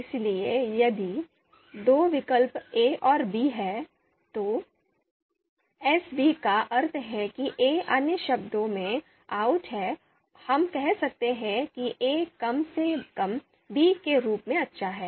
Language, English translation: Hindi, So a, if there are two alternatives a and b then a capital S b denotes that a outranks b or you know in other words, we can say a is at least as good as b